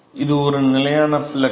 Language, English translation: Tamil, So, this a constant flux